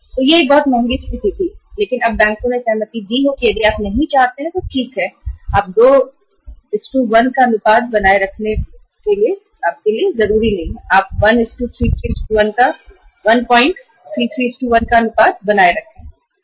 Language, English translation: Hindi, So it was a very expensive situation but now the banks have agreed that okay if you do not want to maintain 2:1 ratio you maintain 1